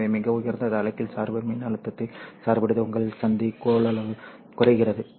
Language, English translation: Tamil, So, biocid at a very high reverse bias voltage, your junction capacitance reduces